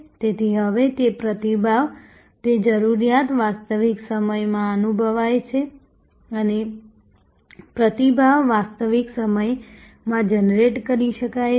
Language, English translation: Gujarati, So, now, that response, that need is felt in real time and response can be generated in real time